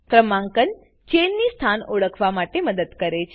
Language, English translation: Gujarati, Numbering helps to identify the chain positions